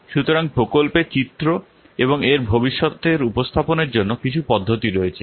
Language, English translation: Bengali, So there are some methods for presenting a picture of the project and its future